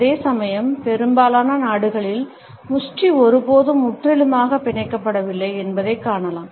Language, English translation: Tamil, Whereas in most of the countries we would find that the fist is never totally clenched